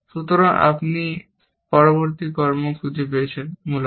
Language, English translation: Bengali, So, you found the next action, essentially